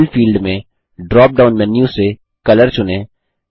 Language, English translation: Hindi, In the Fill field, from the drop down menu, choose Color